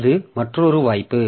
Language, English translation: Tamil, So that is another possibility